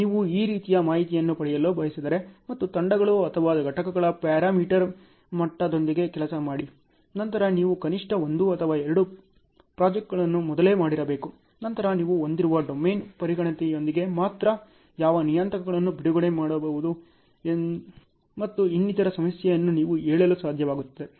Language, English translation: Kannada, If you want to get information like this and work out with the parameter level on the teams or components; then you should have done at least 1 or 2 projects earlier ok, then only with that domain expertise that you have, you will be able to say what time what parameters can be released and so on